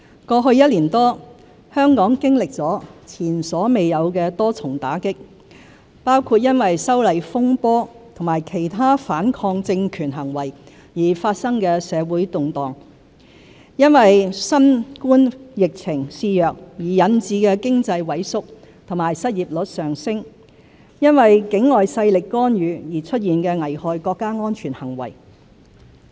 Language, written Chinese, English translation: Cantonese, 過去一年多，香港經歷了前所未有的多重打擊：因"修例風波"和其他反抗政權行為而發生的社會動亂、因新冠疫情肆虐而引致的經濟萎縮和失業率上升、因境外勢力干預而出現的危害國家安全行為。, In the past year or so Hong Kong has experienced multiple blows which are unprecedented the social unrest arising from the opposition to the proposed legislative amendments to the Fugitive Offenders Ordinance and other anti - government acts; the shrinking economy and rising unemployment rate caused by the Coronavirus Disease 2019 COVID - 19 epidemic; and the acts that endangered national security due to interference by external forces